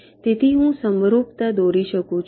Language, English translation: Gujarati, so i can draw an analogy